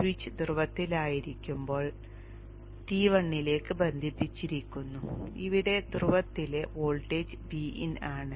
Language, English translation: Malayalam, When the switch is on the pole is connected to T1 and the voltage at the pole here is V in